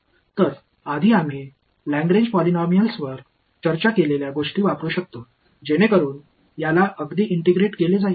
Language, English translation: Marathi, So, I can use what we have discussed earlier the Lagrange polynomials so integrate this guy out right